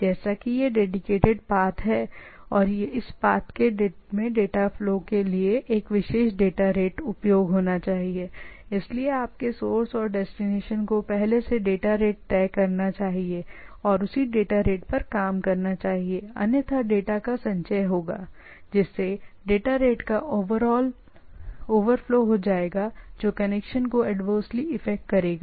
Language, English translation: Hindi, As the as it is dedicated path and flowing the data flow is in a particular data rate, so, your source and destination should that it should be fixed and must operate at the same date rate otherwise the sum there will be accumulation of the data all over flow of data rate is come will come to play which will adversely affect the connection